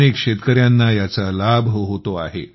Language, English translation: Marathi, So many farmers are benefiting from this